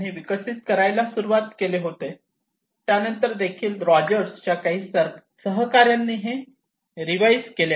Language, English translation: Marathi, Rogers in 1975 started to develop this one and also then it was later on revised by other colleagues of Rogers